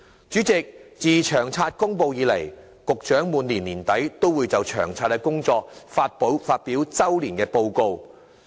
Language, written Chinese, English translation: Cantonese, 主席，自《長遠房屋策略》公布以來，局長每年年底均會就《長遠房屋策略》的工作發表周年報告。, President the Secretary for Transport and Housing will release an annual report on the work of LTHS at the end of each year since the publication of LTHS